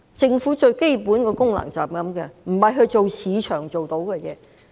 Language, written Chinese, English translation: Cantonese, 政府最基本的功能就是這樣，不是做市場做到的事情。, That is the most basic function of a government; it does not have to do things that can be undertaken by the market